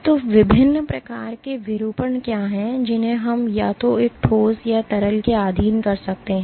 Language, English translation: Hindi, So, what are the different types of deformation that we can subject either a solid or a liquid to